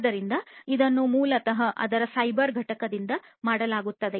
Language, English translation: Kannada, So, this is basically done by the cyber component of it